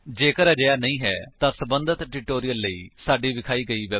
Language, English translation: Punjabi, If not, for relevant tutorials, please visit our website which is as shown